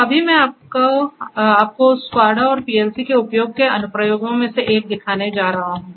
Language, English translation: Hindi, So, right now I am going to show you one of the applications of the use of SCADA and PLC